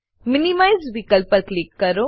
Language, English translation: Gujarati, Click on the option minimize